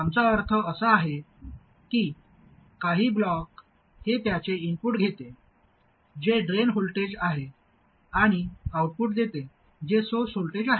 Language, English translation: Marathi, What we really need is some block which takes its input which is the drain voltage and gives an output which is the source voltage and also it must have this behavior